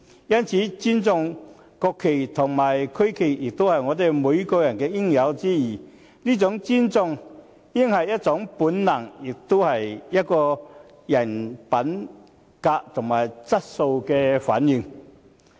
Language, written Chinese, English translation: Cantonese, 因此，尊重國旗和區旗也是我們每個人的應有之義，這種尊重應是一種本能，也是一個人品德和質素的反映。, Therefore everyone is duty - bound to respect the national flag and the regional flag and such respect is an instinct as well as a reflection of the moral character and quality of a person